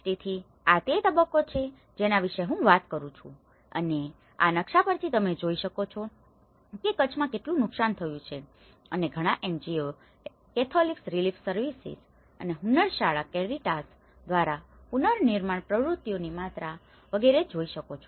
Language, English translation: Gujarati, So, this is the stage which I will be talking about it and from this map you can see the amount of damage which has occurred in the Kutch and the amount of reconstruction activities from many NGOs, Catholic Relief Services, Hunnarshala, Caritas